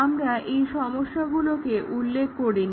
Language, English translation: Bengali, We did not mention the problem as follows